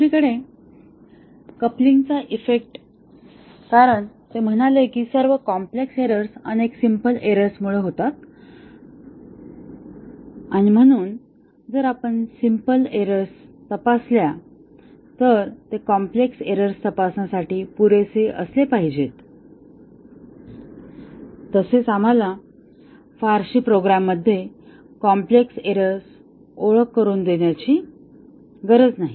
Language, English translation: Marathi, The coupling effect on the other hand as he said that all complex errors are caused due to several simple errors and therefore, if we check for simple errors, that should be enough to check for the complex errors as well we need not have to introduce very complex error into the program